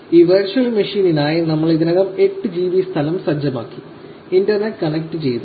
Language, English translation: Malayalam, We had already set 8 GB space for this virtual machine and we have the internet connected